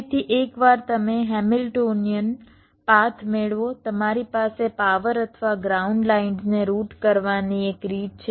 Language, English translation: Gujarati, so once you get a hamiltionian path, you have one way of routing the power or the ground lines